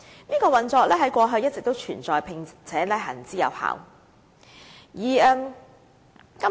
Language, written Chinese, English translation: Cantonese, 這運作在過去一直存在，並且行之有效。, Such a mode of operation has all along existed and is proven